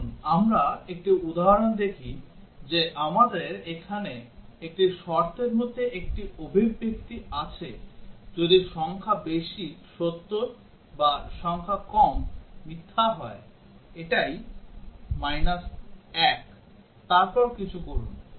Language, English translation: Bengali, Let us look at one example that we have an expression here in one of the conditionals if digit high is true or digit low is false that is minus 1, then do something